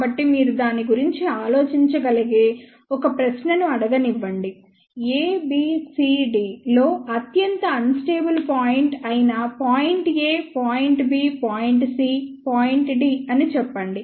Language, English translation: Telugu, So, let me just ask you a question you can think about it so, let us say point a point b point c point d which is the most unstable point among a b c d